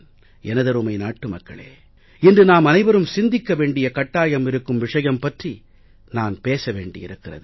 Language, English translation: Tamil, My dear fellow citizens, I now wish to talk about something that will compel us all to think